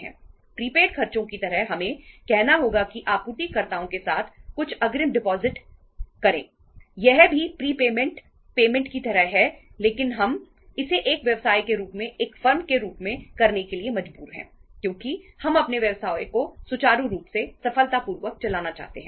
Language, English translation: Hindi, This is also like prepayment payments but uh we are forced to do that as a firm as a business because we want to run our business smoothly, successfully